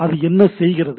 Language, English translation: Tamil, So, what we do